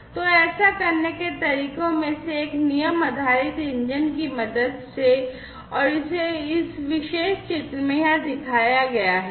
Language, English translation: Hindi, So, one of the ways to do it is with the help of a rule based engine and this is shown over here in this particular figure